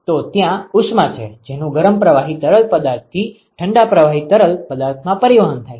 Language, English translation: Gujarati, So, there is heat that is transported from the hot fluid to the cold fluid